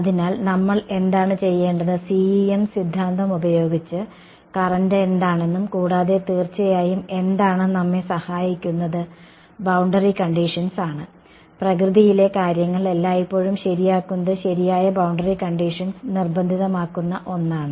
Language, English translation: Malayalam, So, what we will do is we will use the CEM theory to find out what the current is and what will of course, help us is boundary conditions ok, that is the one thing that always fixes things in nature right boundary conditions will force